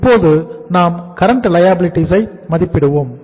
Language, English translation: Tamil, Now let us estimate the current liabilities, current liabilities